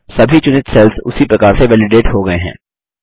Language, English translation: Hindi, All the selected cells are validated in the same manner